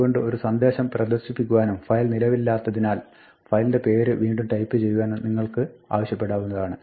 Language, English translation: Malayalam, So, you could display a message and ask the user to retype the file name, saying the file asked for does not exist